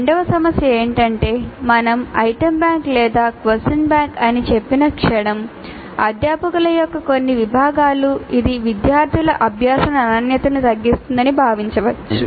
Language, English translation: Telugu, The second issue is that the moment we say item bank or question bank or anything like that, certain segment of the faculty might consider that this will dilute the quality of learning by the students